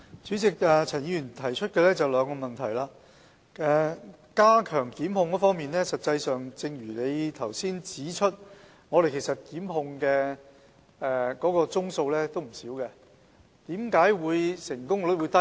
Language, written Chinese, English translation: Cantonese, 主席，陳議員提出了兩項補充質詢，在加強檢控方面，正如他剛才指出，我們檢控的宗數不少，為何成功率會低？, President Mr CHAN has raised two supplementary questions . With regard to stepping up prosecution as he has pointed out why is the rate of successfully prosecution low despite the not - so - small number of cases?